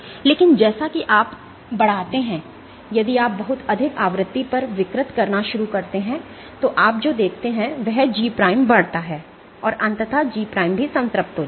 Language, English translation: Hindi, But as you increase if you start deforming at a much higher frequency then what you see is G prime increases, and eventually G prime will also saturate